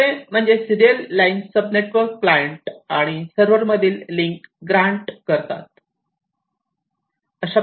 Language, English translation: Marathi, And, the third one is basically the serial line sub network that basically grants the links between the client and the server